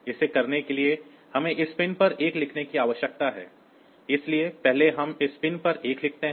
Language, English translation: Hindi, So, for doing it; so, what we need to do is first write a 1 to the pin; so first we write a 1 to this pin